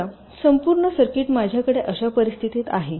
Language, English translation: Marathi, now, suppose this entire circuit i have in a scenario like this